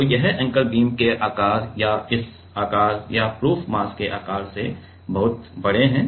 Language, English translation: Hindi, So, these anchors are much bigger than the beam size or this size or the proof mass size ok